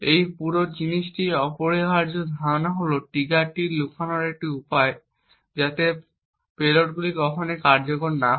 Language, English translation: Bengali, Essential idea in this entire thing is a way to hide the triggers so that the payloads never execute